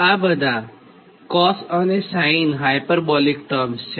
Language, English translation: Gujarati, these are all cos and sin hyperbolic terms